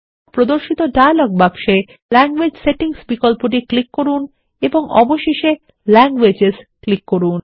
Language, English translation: Bengali, In the dialog box which appears, click on the Language Settings option and finally click on Languages